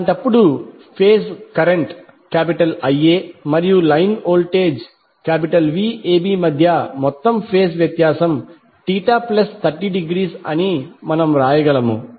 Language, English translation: Telugu, So in that case what we can write that the total phase difference between phase current Ia and the line voltage Vab will be Theta plus 30 degree